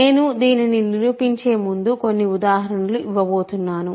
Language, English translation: Telugu, So, I am going to give a couple of examples before I prove this